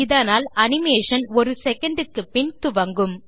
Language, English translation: Tamil, This has the effect of starting the animation after one second